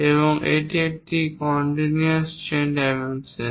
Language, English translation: Bengali, One of them is called chain dimensioning